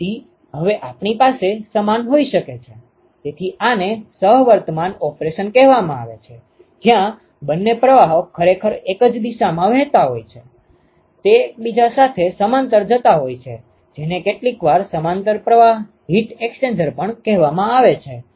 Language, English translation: Gujarati, So, now we could have a similar; so this is called the co current operation, where both streams are actually flowing in the same direction: they are going parallel to each other, this is also sometimes called as parallel flow heat exchanger